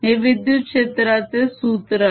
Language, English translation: Marathi, that the electric field formula